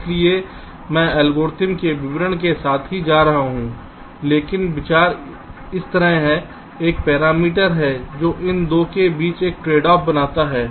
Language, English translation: Hindi, so i am not going with the details of the algorithm, but the idea is like this: there is a parameter that creates a tradeoff between these two